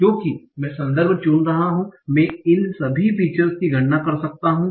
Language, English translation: Hindi, So because I am choosing the context, I can compute all these features